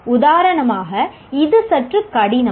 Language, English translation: Tamil, For example, this one is somewhat difficult